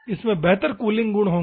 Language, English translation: Hindi, Here, it will have better cooling properties